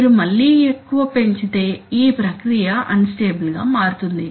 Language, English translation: Telugu, If you increase again too much it may happen that the process will become unstable